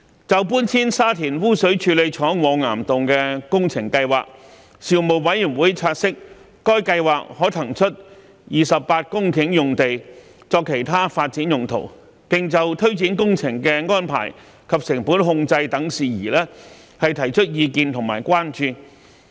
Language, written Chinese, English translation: Cantonese, 關於搬遷沙田污水處理廠往岩洞的工程計劃，事務委員會察悉該計劃可騰出28公頃用地作其他發展用途，並就推展工程的安排及成本控制等事宜提出意見和關注。, Regarding the project to relocate Sha Tin Sewage Treatment Works to Caverns the Panel noted that the project could release 28 hectares of land for other development purposes and expressed views and concerns about the implementation of the project cost control etc